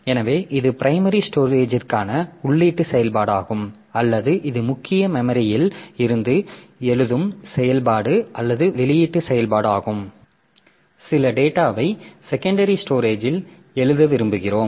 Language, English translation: Tamil, So, that is an input operation for the primary storage or it is a right operation or output operation from the main memory you want to write some data onto the secondary storage